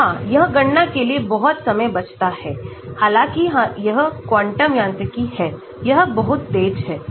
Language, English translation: Hindi, And of course, it saves lot of time for calculations although it is quantum mechanics, it is much faster